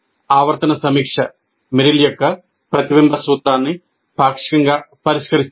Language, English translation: Telugu, And periodic review is partly addresses the reflection principle of Merrill